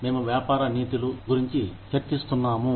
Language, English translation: Telugu, We were discussing, Business Ethics